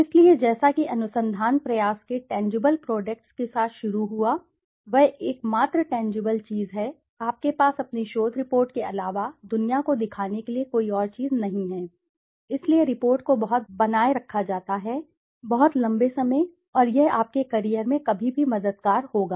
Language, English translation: Hindi, So, as it started with the tangible products of the research effort, that is the only tangible thing, you don't have any thing else to show the world apart from your research report, that is why reports are maintained for a very, very long time and it will be helpful anytime in your career